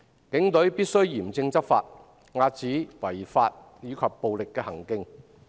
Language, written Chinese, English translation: Cantonese, 警隊必須嚴正執法，遏止違法及暴力行徑。, The Police must take stringent enforcement actions and curb illegal and violent acts